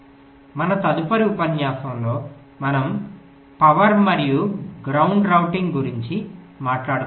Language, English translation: Telugu, in our next lecture we shall be talking about power and ground routing